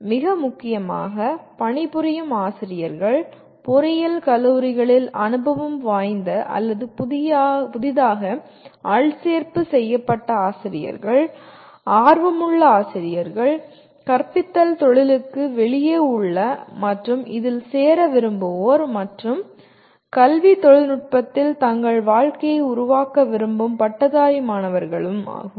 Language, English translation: Tamil, Most importantly the working teachers, either the experienced or newly recruited teachers in engineering colleges, aspiring teachers, those who are outside the teaching profession and want to get into this and also graduate students who wish to make their careers in education technology